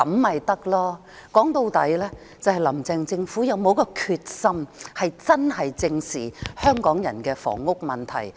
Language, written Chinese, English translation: Cantonese, 說到底，就是"林鄭"的政府是否有這決心，認真正視香港人的房屋問題。, After all it depends on whether the Carrie LAM administration has the determination to face squarely and seriously the housing problem faced by the people of Hong Kong